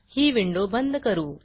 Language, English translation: Marathi, I will close this window